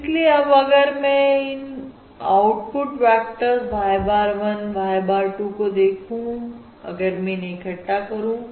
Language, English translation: Hindi, Therefore, now, if I look at the output vectors y bar 1, y bar 2, if I stack um, I can stack these output vectors